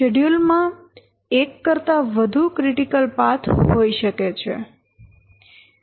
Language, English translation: Gujarati, See, there can be more than one critical path in a schedule